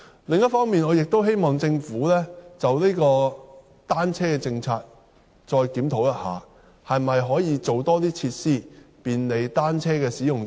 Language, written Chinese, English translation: Cantonese, 另一方面，我亦希望政府就單車政策再作檢討，可否多提供一些設施便利單車使用者？, On the other hand I also hope that the Government will review its policy on bicycles and consider the provision of more facilities for cyclists